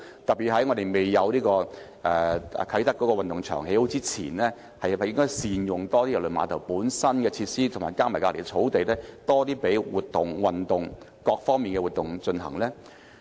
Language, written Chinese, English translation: Cantonese, 特別是在啟德運動場未落成之前，是否應該多加善用郵輪碼頭本身的設施及旁邊的草地，進行各類活動、運動呢？, Particularly should we make better use of the facilities of KTCT and its nearby grassland to conduct various activities including sports activities before the completion of the Kai Tak Sports Park?